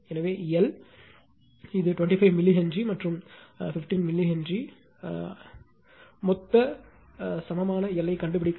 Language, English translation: Tamil, So, L this the your 25 milli Henry, and 15 milli Henry find out the total equivalent your what you call L